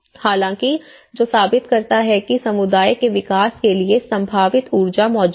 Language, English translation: Hindi, Although, which proves that the potential energy for developing the community does exist